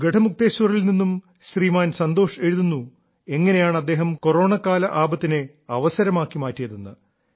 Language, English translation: Malayalam, Shriman Santosh Ji from Garhmukteshwar, has written how during the Corona outbreak he turned adversity into opportunity